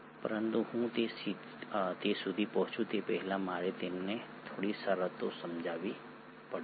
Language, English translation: Gujarati, But before I get to that, I need to explain you a few terms